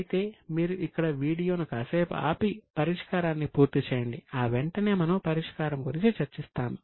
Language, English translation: Telugu, So, you can pause the video here, complete the calculation and right away we are ready with the solution to you